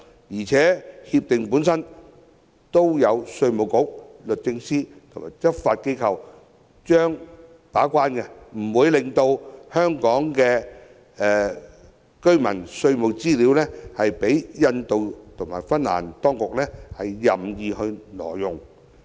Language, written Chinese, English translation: Cantonese, 而且，全面性協定有稅務局、律政司及執法機構把關，不會讓香港居民的稅務資料被印度及芬蘭當局任意挪用。, Besides as the gatekeepers of the relevant CDTAs IRD DoJ and the relevant law enforcement agencies will not sanction the indiscriminate use of tax information of Hong Kong people by the relevant authorities of India and Finland